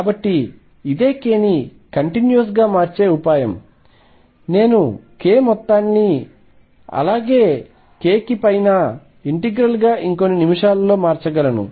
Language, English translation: Telugu, So, this is the trick of making k change continuously I will be able to change the summation over k to integral over k which also in a few minutes